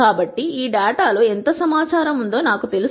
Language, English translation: Telugu, So that I know how much information is there in this data